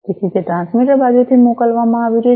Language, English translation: Gujarati, So, it is being sent from the transmitter side